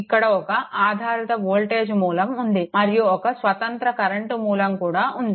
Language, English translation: Telugu, what dependent voltage source is there, one independent current source is there right